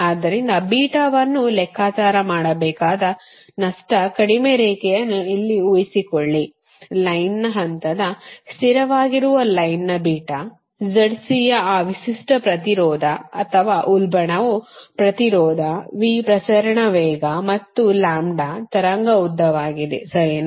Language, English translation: Kannada, so assume here you assume a loss less line, you have to compute beta, the line beta, that is the line, phase, constant, z, c, that characteristic impedance, or surge impedance, v, velocity of propagation, and lambda, the wave length, right